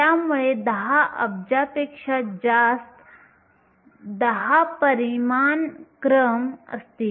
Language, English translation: Marathi, So, 10 orders of a magnitude more than 10 billion